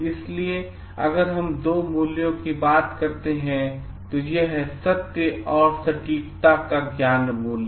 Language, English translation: Hindi, So, if we have to talk of two values, it is the knowledge values of truth and accuracy